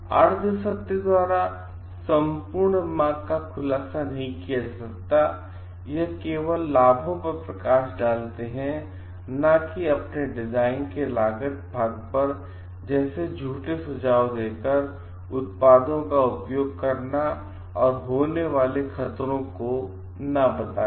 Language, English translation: Hindi, By half truths not disclosing the total path may be only highlighting on the benefits not on the cost part of your design, and like hazards of using a products by making false suggestions